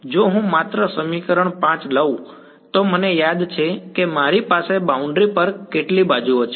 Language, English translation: Gujarati, If I take only equation 5 I remember I have how many edges on the boundary